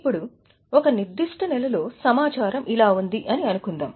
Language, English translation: Telugu, Now let us say in a particular month this is the data